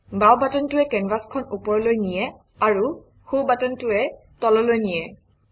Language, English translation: Assamese, The left button moves the canvas up and the right button moves it down